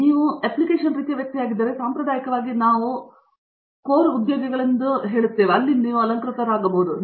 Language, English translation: Kannada, If you are the application kind of person, you probably you are looking at what traditionally we call as core jobs that means like I am